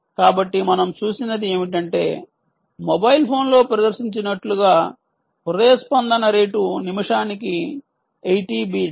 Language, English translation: Telugu, so what we have seen is that the pulse, the heart rate, is eighty bits per minute as displayed on the mobile phone